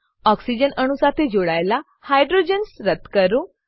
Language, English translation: Gujarati, Delete the hydrogens attached to the oxygen atoms